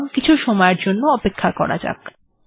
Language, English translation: Bengali, So lets wait for some time